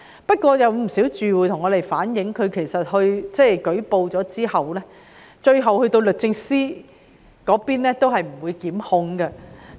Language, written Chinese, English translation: Cantonese, 不過，事實證明，有不少住戶向我們反映，舉報之後，最後律政司也不作檢控。, However the fact is as told by many tenants that such complaints often did not result in prosecutions by the Department of Justice